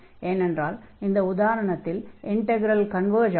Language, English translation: Tamil, So, naturally that integral will converge